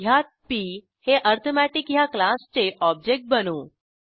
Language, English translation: Marathi, In this we create an object of class arithmetic as p